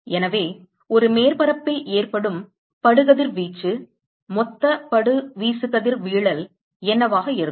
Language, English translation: Tamil, So, what will be the incident radiation to a surface, total incident irradiation